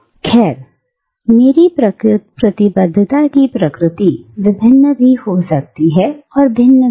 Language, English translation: Hindi, Well, the nature of my commitment, can be various, and can be different